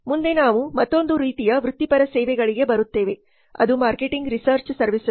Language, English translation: Kannada, Next we come to another type of professional services which is marketing research services marketing